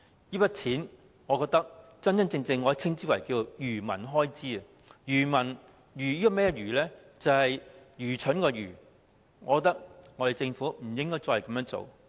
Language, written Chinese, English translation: Cantonese, 這筆錢，我覺得真的可以稱為"愚民開支"，"愚民"是愚蠢的"愚"，我覺得政府不應該再這樣做。, This sum of money in my view can really be called an expenditure to fool people . It is foolish . I think the Government should stop doing that